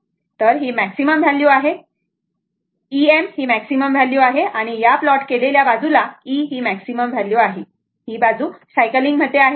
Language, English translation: Marathi, So, this is your maximum value this is your maximum value E m and this side plot is actually E is equal to this thing the maximum value and this side is your what you call this is, it is cycling